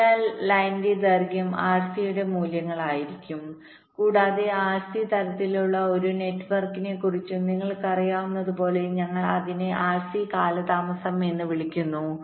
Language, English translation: Malayalam, so longer the line, longer will be the values of rc and, as you know, for any rc kind of a network we refer to as it as rc delay